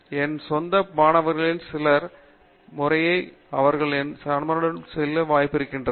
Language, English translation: Tamil, And I have had the chance to watch a few of my own students go through the process as well as my colleagues students